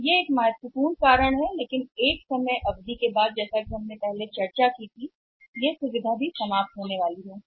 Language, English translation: Hindi, So, that is the one important reason but over a period of time as we have discussed in the past also that this this facility is also bound to come to an end